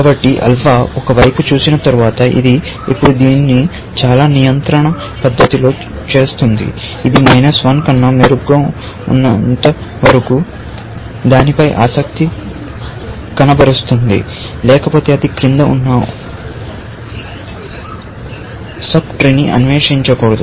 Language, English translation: Telugu, So, after alpha has seen one side, it will now do this in a very control fashion, which is only, as long as we have better than minus 1, I am going to be interested in you; otherwise, do not explore the sub tree below that, essentially